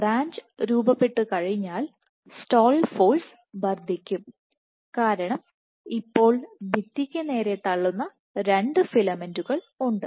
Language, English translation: Malayalam, And once the branch is formed the stall force will increase because now there are two filaments which push against the wall